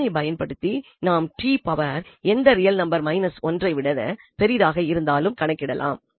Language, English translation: Tamil, So, indeed this is a more general result which can be used for computing t power any real number greater than minus 1